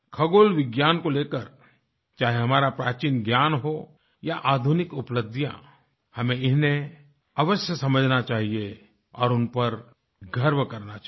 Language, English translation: Hindi, Whether it be our ancient knowledge in astronomy, or modern achievements in this field, we should strive to understand them and feel proud of them